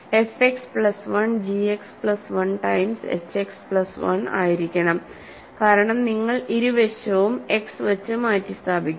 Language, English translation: Malayalam, So, f X plus 1 can has to be g X plus 1 times h X plus 1 because both sides you are replacing by X